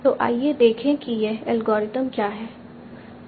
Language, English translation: Hindi, So let us see what this algorithm does